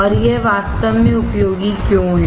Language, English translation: Hindi, And why is it really useful